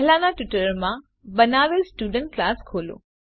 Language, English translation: Gujarati, Open the Student class we had created in the earlier tutorial